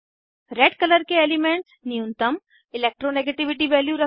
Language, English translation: Hindi, Elements with red color have lowest Electronegativity values